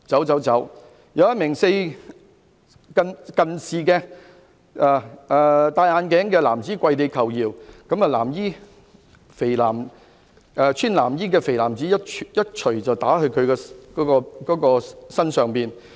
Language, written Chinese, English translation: Cantonese, "此外，一名配戴眼鏡的男子跪地求饒，然後有身穿藍衣的肥胖男子一拳打在該男子身上。, In addition a bespectacled man knelt on the ground to beg for mercy but then a fat man in blue punched him